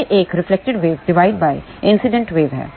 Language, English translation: Hindi, It is a reflected wave divided by incident wave